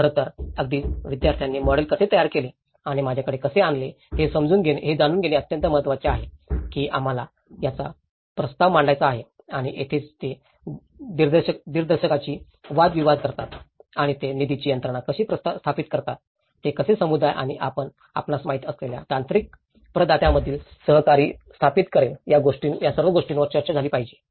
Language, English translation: Marathi, In fact, as a very important to see how even students have developed a model and brought to me that this is how we want to propose and this is where they counter argue with the director and how they can establish the funding mechanism, how they will establish the co operative between community and the technical providers you know, this is all things have been discussed